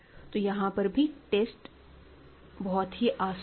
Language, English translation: Hindi, So, again the test is very clear